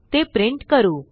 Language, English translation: Marathi, Here we print them